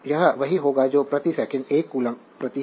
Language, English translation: Hindi, So, it will be your what you call that per 1 coulomb per second right